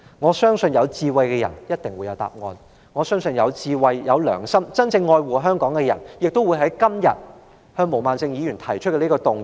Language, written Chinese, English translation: Cantonese, 我相信有智慧的人一定會有答案，我相信有智慧、有良心，真正愛護香港的人今天亦會就毛孟靜議員提出的這項議案投贊成票。, I believe that wise people will have their answers and I believe that people who have wisdom and conscience and who truly love Hong Kong will vote in favour of Ms Claudia MOs motion today